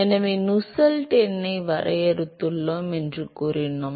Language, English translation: Tamil, So, we said that we defined Nusselt number